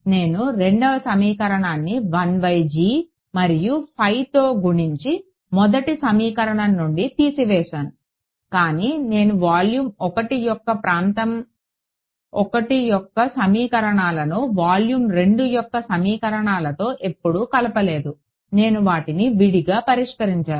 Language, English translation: Telugu, I multiplied 1 by g the other by phi subtracted them, but I never mixed the equations for region 1 of volume 1 with the equations for volume 2, as sort of solved them separately